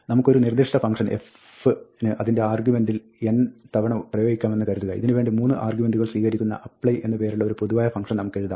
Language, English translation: Malayalam, Suppose, we want to apply a given function f to its argument n times, then we can write a generic function like this called apply, which takes 3 arguments